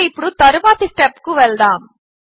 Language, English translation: Telugu, So let us go to the next step